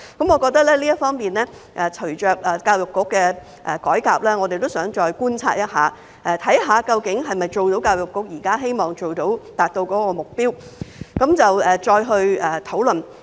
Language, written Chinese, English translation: Cantonese, 我認為，在這方面，隨着教育局的改革，我們也想再觀察，看看究竟能否達到教育局現在希望達到的目標，然後再作討論。, In my opinion while EDBs reform is in progress it is desirable for us to make further observation in this regard to see if EDBs current objective can be achieved before proceeding with our discussion